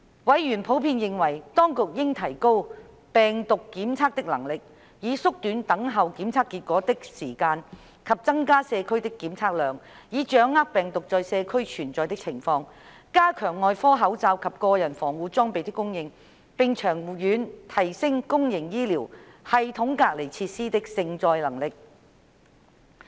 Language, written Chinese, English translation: Cantonese, 委員普遍認為，當局應提高病毒檢測的能力，以縮短等候檢測結果的時間；增加社區的檢測量，以掌握病毒在社區存在的情況；加強外科口罩及個人防護裝備的供應；並長遠提升公營醫療系統隔離設施的承載能力。, Members in general considered that the Administration should improve its virology capabilities in order to reduce the waiting time for test results and enhance its testing capacity in order to gain a clearer picture of the virus prevalence in the community as well as increase the availability of surgical masks and other personal protective equipment and in the longer run enhance the service capacity of isolation facilities under the public health care system